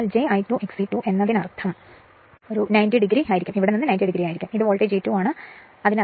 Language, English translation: Malayalam, So, as j I 2 X e 2 means it will be 90 degree from here to here and this is my voltage E 2 and this is my delta right